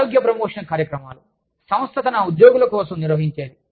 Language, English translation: Telugu, Health promotion programs, that are conducted by the organization, for its employees